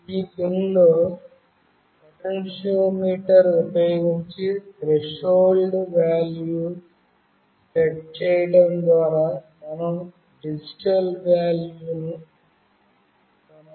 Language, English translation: Telugu, In this pin, we can get a digital value by setting the threshold value using the potentiometer